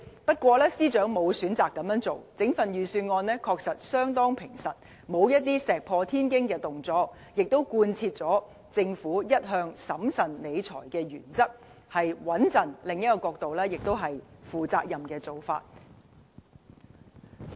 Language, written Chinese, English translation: Cantonese, 不過，司長沒有選擇這樣做，整份預算案確實相當平實，沒有石破天驚的動作，也貫徹政府一向審慎理財的原則，相當平穩，而從另一個角度看，這也是負責任的做法。, The Secretary did not do so though . Instead the entire Budget is truly down - to - earth without an drastic measures adhering to the Governments established principle of fiscal prudence . From another perspective the prudence reflects a sense of responsibility